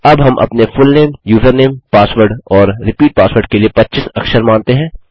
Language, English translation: Hindi, Now we say 25 characters for our fullname, username, password and repeat password